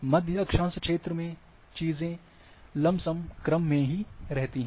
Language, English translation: Hindi, In the central middle middle latitude region, things are more or less in order